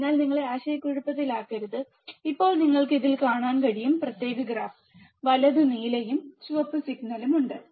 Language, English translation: Malayalam, So, just not to confuse you, now you can see, in this particular graph, there is a blue and red signal right